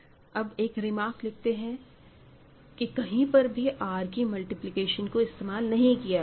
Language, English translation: Hindi, I will only make the final remark that nowhere in this proof we have used multiplication on R